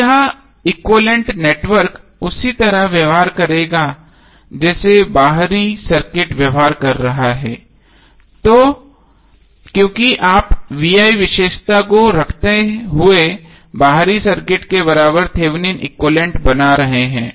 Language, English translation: Hindi, Now this equivalent network will behave as same way as the external circuit is behaving, because you are creating the Thevenin equivalent of the external circuit by keeping vi characteristic equivalent